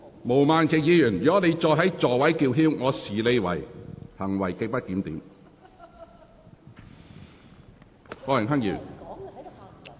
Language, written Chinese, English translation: Cantonese, 毛孟靜議員，如果你繼續在座位上叫喊，我會視之為行為極不檢點。, Ms Claudia MO if you continue to speak loudly in your seat I will regard your behaviour as grossly disorderly